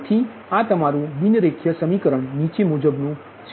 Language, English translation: Gujarati, so this is your non linear equation now